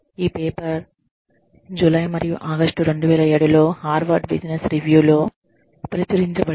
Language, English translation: Telugu, The paper has been published in, Harvard Business Review in, July and August 2007